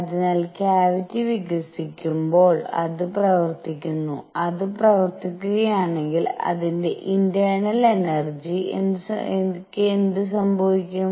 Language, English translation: Malayalam, So, as the cavity expands, it does work, if it does work, what should happen to its internal energy